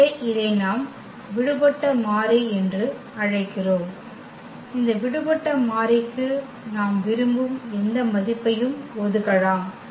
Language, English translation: Tamil, So, this is what we call the free variable and this free variable we can assign any value we like